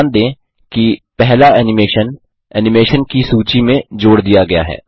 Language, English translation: Hindi, Notice, that the first animation has been added to the list of animation